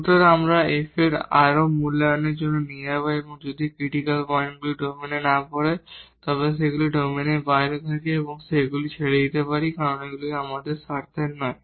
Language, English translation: Bengali, So, we will take them for further evaluation of f at those points, if the critical points does not fall in the domain they are outside the domain then we can leave them because that is not of our interest